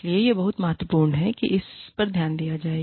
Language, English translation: Hindi, So, it is very important that, this is taken care of